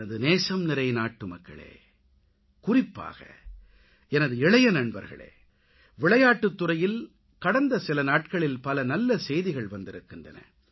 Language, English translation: Tamil, My dear countrymen, especially my young friends, we have been getting glad tidings from the field of sports